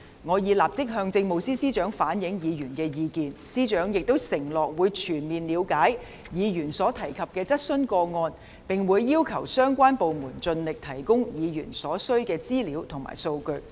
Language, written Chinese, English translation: Cantonese, 我已立即向政務司司長反映議員的意見，司長亦承諾會全面了解議員所提及的質詢個案，並會要求相關部門盡力提供議員所需要的資料和數據。, I have immediately conveyed the views of Members to the Chief Secretary for Administration . The Chief Secretary also promised to fully investigate the cases referred to in the questions and would urge the relevant departments to make every effort to provide the information and data requested by Members